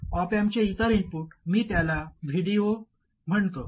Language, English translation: Marathi, And this other input of the op amp I call it VD 0